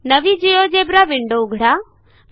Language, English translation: Marathi, Lets open a new GeoGebra window